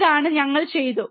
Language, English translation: Malayalam, This is what we have done